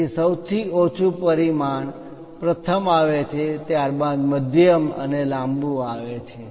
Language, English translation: Gujarati, So, lowest dimension first comes then followed by medium and longest one